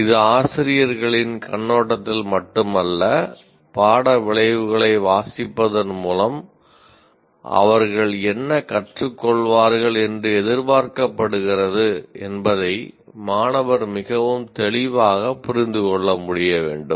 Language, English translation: Tamil, And not only that, it is not only from teachers perspective, the student should be able to understand very clearly by reading the course outcomes what they're expected to be learning